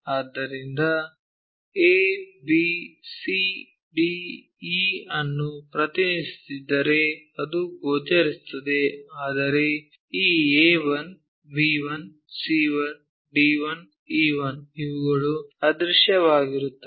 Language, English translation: Kannada, So, if you are representing a b c d e are visible whereas, this A 1, B 1, C 1, D 1, E 1 these are invisible